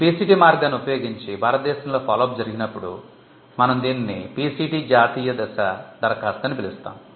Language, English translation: Telugu, When the follow up happens in India using the PCT route, we call it a PCT national phase application